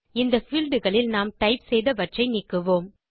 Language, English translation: Tamil, Let us just get rid of these values in these fields that weve typed